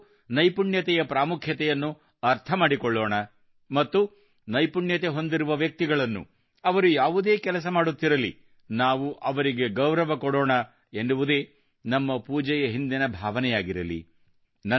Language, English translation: Kannada, The spirit of our worship should be such that we understand the importance of skill, and also give full respect to skilled people, no matter what work they do